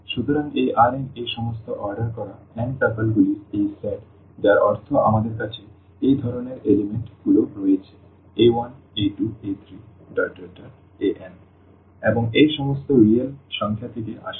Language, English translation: Bengali, So, this R n is this set of all this ordered n tuples means we have the elements of this type a 1, a 2, a 3, a n and all these as are from the real number